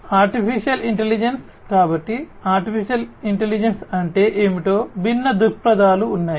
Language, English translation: Telugu, Artificial Intelligence so, there are different viewpoints of what AI is